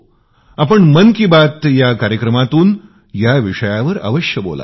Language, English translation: Marathi, Please speak about this on Mann ki Baat